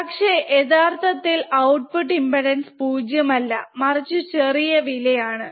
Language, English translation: Malayalam, But in true the output impedance is not 0, it is low